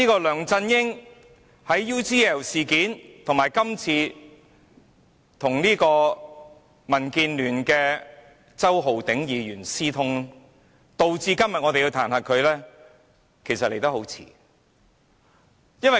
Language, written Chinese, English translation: Cantonese, 梁振英的 UGL 事件，以及他與民建聯周浩鼎議員私通，導致我們今天要彈劾他，其實彈劾來得很晚。, LEUNG Chun - yings UGL incident and his collusion with Mr Holden CHOW of DAB are the reasons why we have to impeach him . The impeachment has come rather late